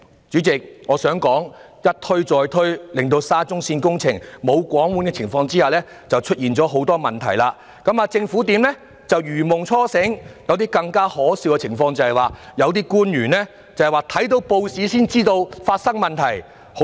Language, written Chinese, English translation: Cantonese, 主席，我想說的是"一推再推"便令沙中線工程在"無皇管"的情況下出現了很多問題，政府才如夢初醒，更可笑的是有些官員閱報才知道發生問題。, President its repeated shirking of responsibility has led to the problems in the SCL works projects which has been conducted without any supervision . The Government only woke up from its dream when the problems were discovered . What was laughable was that some public officers were unaware of the problems until reading the newspaper